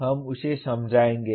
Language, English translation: Hindi, We will explain that